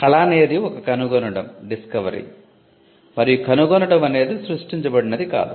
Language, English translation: Telugu, So, art was a discovery and discovery is not something that was created